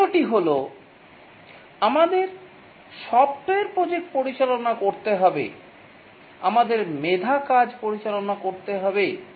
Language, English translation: Bengali, The third thing is that we have to, in software project management, we have to manage intellectual work